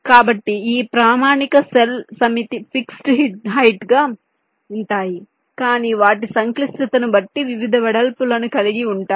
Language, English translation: Telugu, standard cells as a set can be of fixed height but, depending on their complexity, can be a varying width